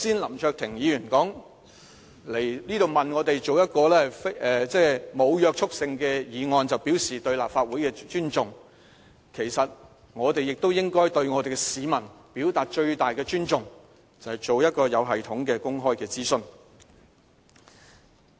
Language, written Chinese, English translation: Cantonese, 林卓廷議員剛才批評政府，指它向立法會提交一項沒有約束力的議案，便表示它尊重立法會，其實我們亦應對市民表達最大的尊重，就是進行一個有系統的公開諮詢。, Just now Mr LAM Cheuk - ting has criticized the Government for its insincere respect for the Legislative Council by merely submitting this non - legally binding motion to the legislature . Instead the greatest respect for the public is the conduct of a systemic public consultation